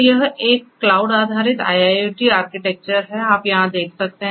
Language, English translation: Hindi, So, this is a cloud based IIoT architecture so as you can see over here